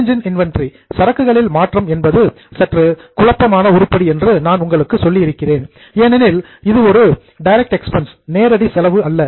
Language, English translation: Tamil, I had told you that change in inventory is slightly confusing item because it is not a direct expense as such